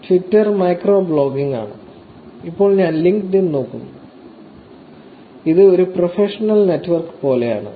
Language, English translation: Malayalam, Twitter is micro blogging and now we look at LinkedIn, which is more like professional networks